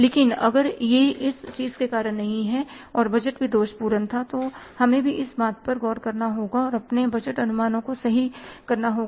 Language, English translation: Hindi, But if it is not because of this thing and the budgeting was defective then we also have to look for this and correct our budgeting estimates